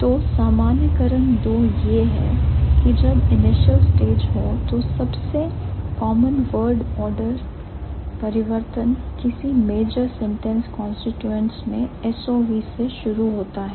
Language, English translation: Hindi, So, generalization two is that when it's the initial stage, the most common word order change in major sentence constituents that starts with S O V